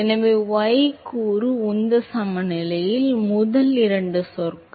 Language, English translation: Tamil, So, the first two terms in the y component momentum balance